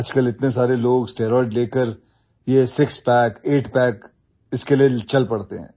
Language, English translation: Hindi, Nowadays, so many people take steroids and go for this six pack or eight pack